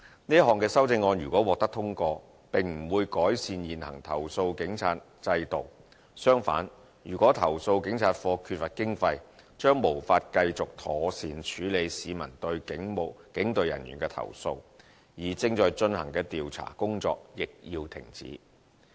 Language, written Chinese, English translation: Cantonese, 這項修正案如果獲得通過，並不會改善現行投訴警察制度，相反，如果投訴警察課缺乏經費，將無法繼續妥善處理市民對警隊人員的投訴，而正在進行的調查工作亦要停止。, If this amendment is passed the existing system of complaining against the Police will not be improved . On the contrary if CAPO is in lack of funding it will be unable to continue dealing with public complaints against the Police in a proper way and the ongoing investigating work will also have to be suspended . The current statutory two - tier police complaints system is well - established